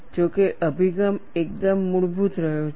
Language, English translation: Gujarati, However, the approach has been quite crude